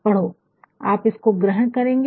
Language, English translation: Hindi, Read you will absorb it